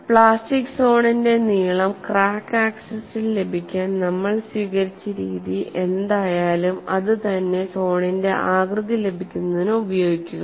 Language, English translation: Malayalam, So, whatever the methodology that we have adopted to get the length of the plastic zone along the crack axis, extended to get the shape of the zone